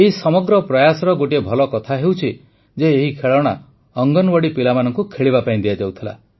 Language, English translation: Odia, And a good thing about this whole effort is that these toys are given to the Anganwadi children for them to play with